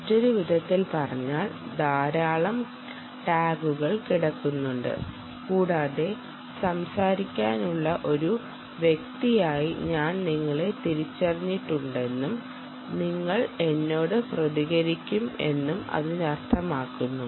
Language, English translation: Malayalam, in other words, there can be many, many tags lying around and the interrogator can say: i have identified you as a as the person to talk and you will respond to me, which means you can be singulated